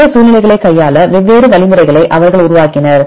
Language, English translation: Tamil, So, they developed different algorithms right to handle these situations